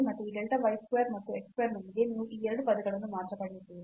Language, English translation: Kannada, Here we have delta y square as well and then the square root